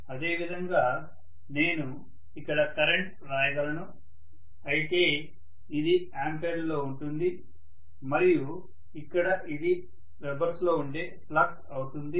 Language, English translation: Telugu, Similarly, I can write here current whereas this will be in amperes and here it is going to be flux which will be in webers, Right